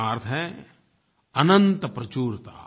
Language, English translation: Hindi, This means endless sufficency